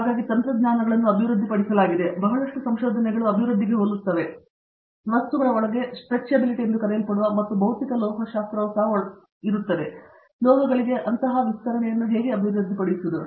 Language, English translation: Kannada, So, there are technologies that have come up, where there is a lot of research has to go in to develop, what is called Stretchability inside the material and there is a lot of physical metallurgy also goes in, how to develop such stretchability into metals